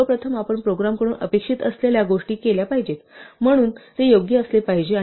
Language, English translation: Marathi, Well first of all it must do what you expect it to do, so it must be correct